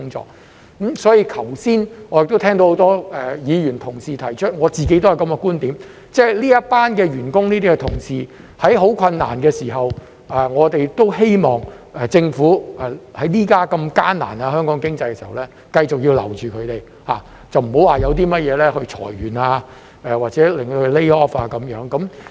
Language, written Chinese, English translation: Cantonese, 就此，我剛才亦都聽到很多議員同事提出，而我自己都有這個觀點，就是這群員工、這些同事正面對很困難的時候，我們希望政府在現時香港經濟如此艱難之際，繼續留住他們，不要因甚麼事裁員或者令他們被 lay off。, In this regard I have heard many Members expressing the view which I also share that these staff members are going through tough times . We hope the Government will retain them while the economy of Hong Kong is in the doldrums and not to make them redundant or lay them off for whatever reasons